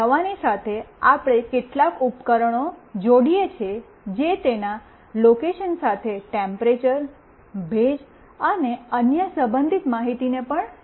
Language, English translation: Gujarati, Along with a medicine, we attach some device that will sense the temperature, humidity, and other relevant information along with its location as well